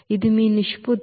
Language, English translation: Telugu, This is your ratio